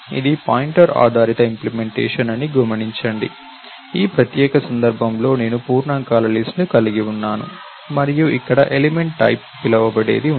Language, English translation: Telugu, Notice that, this is the pointer based implementation, notice that in this particular case I am having a list of integers and here is something which is called an element type